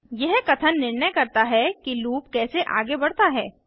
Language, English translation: Hindi, This statement decides how the loop is going to progress